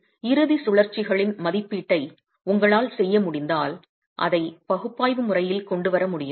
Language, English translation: Tamil, So if you are able to make an estimate of the end rotations, can that be brought in analytically